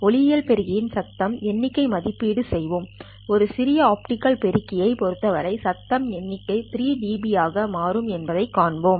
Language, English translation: Tamil, We will evaluate the noise figure of an optical amplifier and show that for an ideal optical amplifier the noise figure turns out to be 3 or rather 3 dB